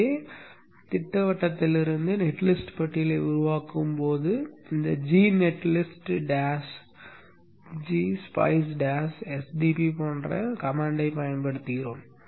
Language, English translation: Tamil, So when we generated the net list from the schematic, we used a command like this, G netlist, dash, G, spice, sdb, so on, so on